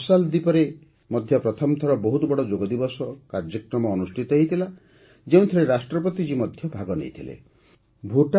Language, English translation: Odia, The President of Marshall Islands also participated in the Yoga Day program organized there on a large scale for the first time